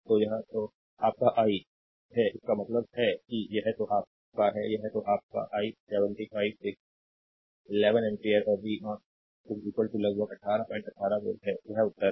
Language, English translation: Hindi, So, this is your i ah; that means, ah this is your ah this is your ah i 75 by 11 ampere and v 0 is equal to approximately 18